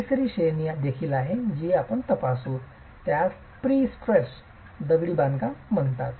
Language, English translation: Marathi, There is also a third category which we will examine which is called pre stressed masonry